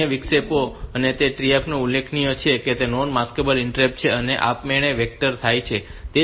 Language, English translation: Gujarati, The other interrupt that I have mentioned trap is a non maskable interrupt and they are automatically vectored